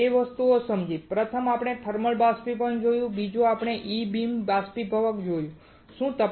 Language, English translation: Gujarati, We understood 2 things; first is we have seen thermal evaporator and second is we have seen E beam evaporator